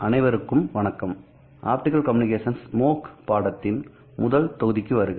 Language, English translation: Tamil, Hello all and welcome to this first module of optical communications MOOC course